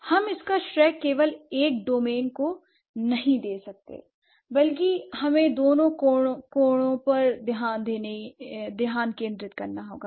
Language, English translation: Hindi, So, we cannot focus or we cannot just give credit to one domain, like one side of it rather we have to focus on both triangles